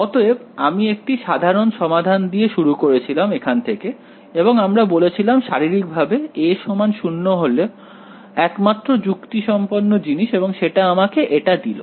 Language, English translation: Bengali, So, we started with the general solution over here and we said physically that a is equal to 0 is the only meaningful thing and that gives me this